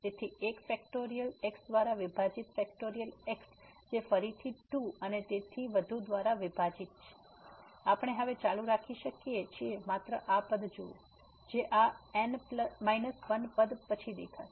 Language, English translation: Gujarati, So, factorial divided by 1 factorial again divided by 2 and so, on we can continue now just look at this term here which have appear after this minus 1 term